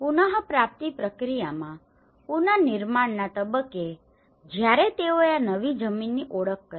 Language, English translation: Gujarati, In the recovery process, in the reconstruction stage when they identified this new land